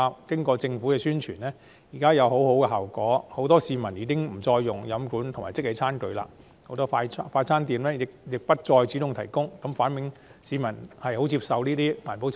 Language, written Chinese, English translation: Cantonese, 經過政府的宣傳，很多市民已沒有使用飲管和即棄餐具，很多快餐店亦不再主動提供，反映市民相當接受這些環保措施。, Through the Governments publicity many members of the public have stopped using straws and disposable tableware and many fast - food restaurants have stopped providing them . This reflects that these environmental initiatives are well received by the public